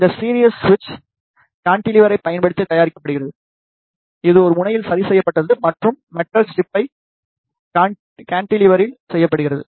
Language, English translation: Tamil, This series switch is made using the cantilever, which is fixed at one end and the metal strip is made at the cantilever